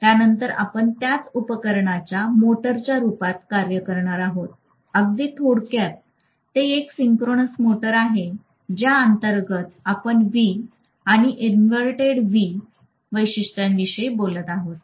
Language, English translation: Marathi, Then we will be talking about the same machine functioning as a motor, very briefly that is synchronous motor under which we will be talking about V and inverted V characteristics